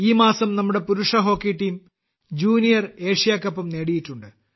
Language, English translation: Malayalam, This month itself our Men's Hockey Team has also won the Junior Asia Cup